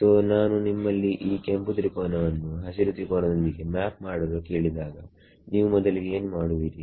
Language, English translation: Kannada, So, if I want you to map this red triangle to green triangle what is the first thing you would do